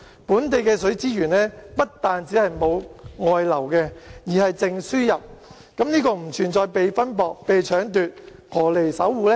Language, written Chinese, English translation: Cantonese, 本地的水資源不但沒有外流，而且是淨輸入，不存在被分薄、被搶奪，何來要守護呢？, The local water resources instead of flowing out have a net gain . As our resources are neither put under strain nor snatched why do we have to protect them?